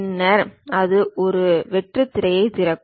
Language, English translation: Tamil, Then it opens a blank screen